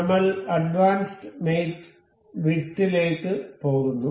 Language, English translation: Malayalam, We will go to advanced mate width